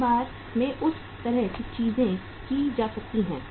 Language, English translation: Hindi, Once in a while that kind of the things can be done